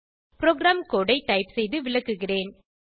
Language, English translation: Tamil, Let me type and explain the program code